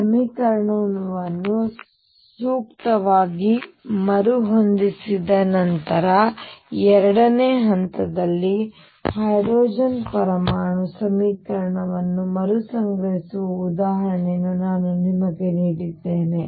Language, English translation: Kannada, Step 2 after rescaling the equation appropriately, I gave you the example of rescaling the hydrogen atom equation